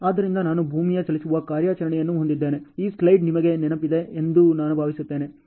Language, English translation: Kannada, So, I am having a earth moving operation, this slide I think you remember this